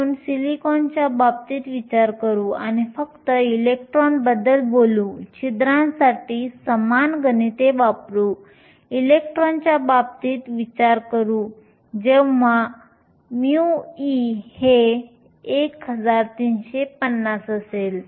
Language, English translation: Marathi, So, consider the case of silicon, and we will only talk about electrons and use the similar calculations for the holes, consider the case of silicon, when mu e is 1350